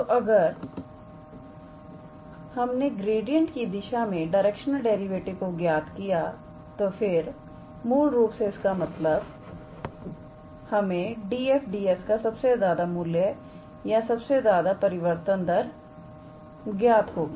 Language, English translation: Hindi, So, if we are calculating the directional derivative along the direction of gradient, then the I mean that is the basically the maximum rate of change or maximum value of d f d s will be attained